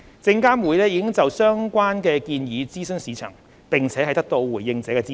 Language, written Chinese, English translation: Cantonese, 證監會已就相關建議諮詢市場，並得到回應者的支持。, SFC has consulted the industry on the proposals concerned and has gained their support